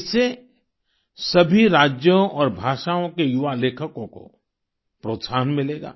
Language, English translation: Hindi, This will encourage young writers of all states and of all languages